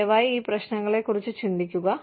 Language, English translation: Malayalam, Please think about, these issues